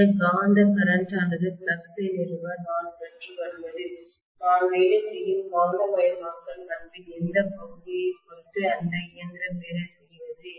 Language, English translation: Tamil, And this magnetising current what I am drawing to establish the flux depends heavily upon in what portion of magnetisation characteristic I am working on or the machine is working on